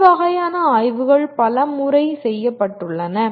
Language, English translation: Tamil, And this kind of surveys have been done fairly many times